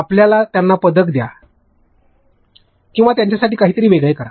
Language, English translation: Marathi, You know give them medals or do something else